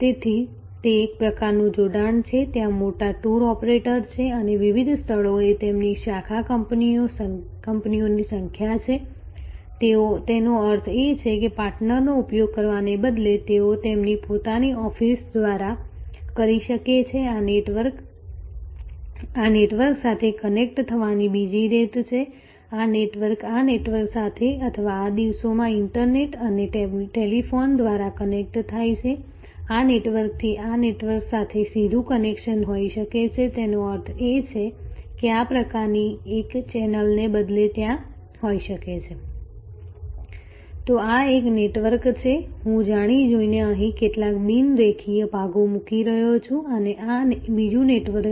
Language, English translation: Gujarati, So, that is one kind of connection, there are big tour operators with their number of branch offices at various places; that means instead of using a partner, they may do it through their own offices; that is another way this network connects to this network, this networks connects to this network or these days through internet and telephone, there can be a direct connection from this network to this network; that means, instead of this kind of a single channel there can be… So, this is a network, I am deliberately putting some non linear parts here and this is another network